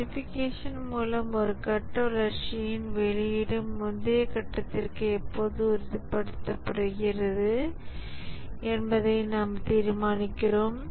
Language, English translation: Tamil, In verification, we determine whether output of one phase of development conforms to the previous phase